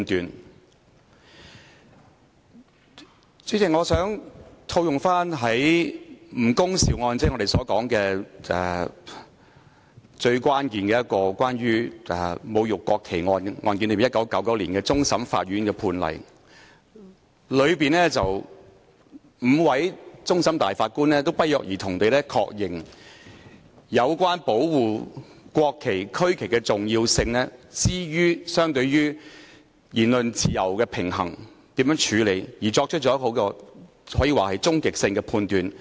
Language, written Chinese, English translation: Cantonese, 代理主席，我想套用1999年終審法院就"吳恭劭案"——即我們所說關乎侮辱國旗的一宗最關鍵的案例——頒下的判詞，當中5位終審大法官均不約而同地確認應如何處理在保護國旗及區旗的重要性與言論自由之間的平衡，可說是作出了終極判斷。, Deputy President I wish to quote the judgment of the case of NG Kung Siu―which is what we call the most critical case relating to desecration of the national flag―handed down by the Court of Final Appeal in 1999 in which the five Judges of the Court of Final Appeal unanimously agreed on how to deal with the balance between safeguarding the importance of the national flag and the regional flag and the freedom of speech which may be regarded as an ultimate judgment